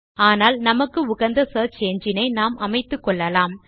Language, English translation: Tamil, We can choose the search engine of our choice